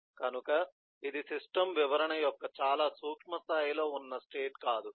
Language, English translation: Telugu, this is not a state at a very micro level of the system description